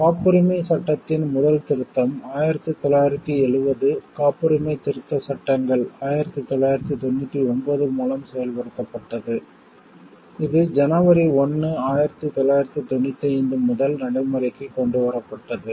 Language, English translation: Tamil, The first amendment to the Patent Act, 1970 was effected through the Patents Amendment Acts, 1999 that was brought into force retrospectively from 1st January, 1995